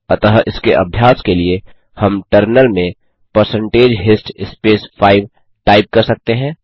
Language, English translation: Hindi, So to try this we can type in the terminal percentage hist space 5 and hit enter